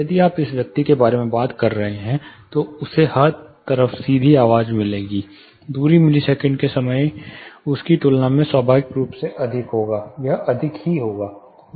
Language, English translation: Hindi, If you are talking about this person he will get direct sound all the way, the distance, the time in millisecond would be higher naturally compared to him it will be higher